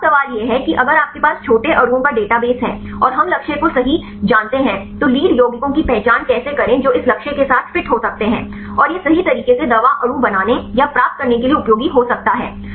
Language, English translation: Hindi, So, now, the question is if you have the database of small molecules and we know the target right then how to identify the lead compounds which can fit with this target, and it could be useful as to design or get a drug molecule right